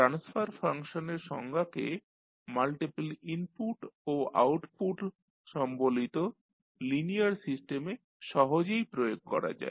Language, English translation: Bengali, Now, the definition of transfer function is easily extended to linear system with multiple inputs and outputs